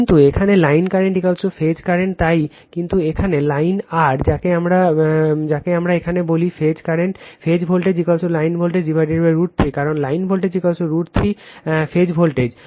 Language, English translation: Bengali, But here line current is equal to phase current right so, but here line your, what we call here, phase voltage is equal to line voltage by root 3 because, line voltage is equal to root 3 times phase voltage right